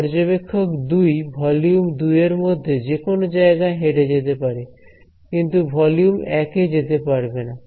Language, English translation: Bengali, This guy observer 2 can walk around anywhere in volume 2, but cannot walk into volume 1